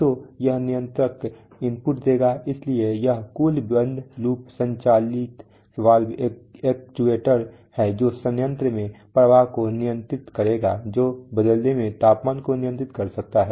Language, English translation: Hindi, So this controller will give input, so this is a total closed loop operated valve actuator which will control flow in the plant, which in turn may control temperature whatever